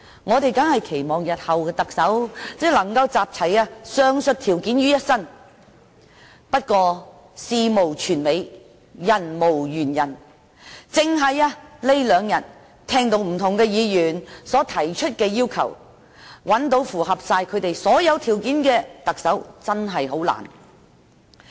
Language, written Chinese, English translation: Cantonese, 我們當然期望日後的特首能夠集齊上述條件於一身，但事無全美，人無完人，單是近兩天聽到不同議員提出的要求，要找到符合他們所有條件的特首真的很困難。, Of course we hope the next Chief Executive can fulfil all the prerequisites yet life is not perfect while no one is faultless . Simply summarizing the expectations for the next Chief Executive mentioned by different Members in these two days I come to realize that it is really difficult if not impossible to get someone who can meet all the prerequisites